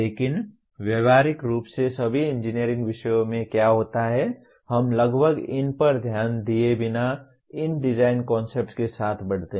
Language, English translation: Hindi, But what happens in practically all the engineering subjects, we grow with these design concepts without almost paying any attention to them